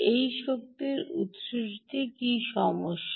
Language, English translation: Bengali, what is a problem with this energy source